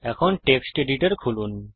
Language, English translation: Bengali, Now lets open the text editor